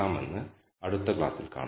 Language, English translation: Malayalam, So, see you in the next lecture